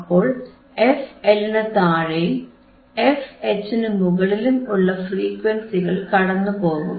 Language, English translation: Malayalam, tThe frequencies between f L and f H will not pass